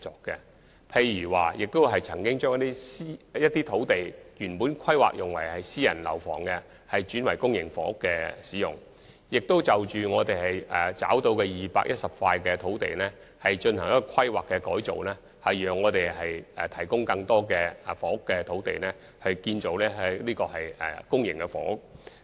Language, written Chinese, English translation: Cantonese, 例如我們曾把一些原本規劃作私營房屋發展的土地，轉作興建公營房屋之用，並就已覓得的210幅土地進行規劃工作，藉以提供更多房屋用地，部分用於建造公營房屋。, For example we have converted some sites originally zoned for private housing development to public housing sites and have made planning changes to 210 identified sites thereby providing more land sites for housing production with some of them earmarked for public housing development